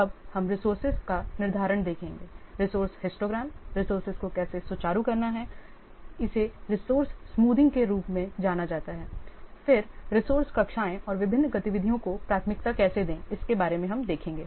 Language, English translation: Hindi, Now we'll see the scheduling of the resources, resource histograms, how to smooth the resources that is known as resource smoothing, then the resource classes and how to prioritize the different activities